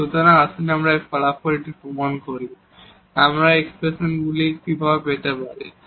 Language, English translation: Bengali, So, let us prove this result, how do we get these expressions